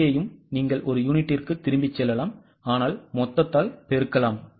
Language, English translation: Tamil, Here also you can go by per unit but then multiply it by total